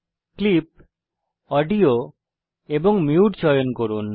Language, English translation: Bengali, Choose Clip, Audio and Mute